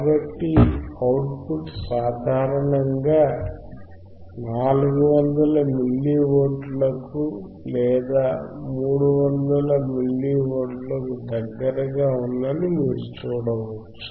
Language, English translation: Telugu, So, you could see the output generally it was close to 400 milli volts or 300 something milli volts, right